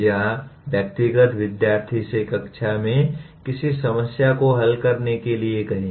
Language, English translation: Hindi, Or asking individual student to solve a problem in the class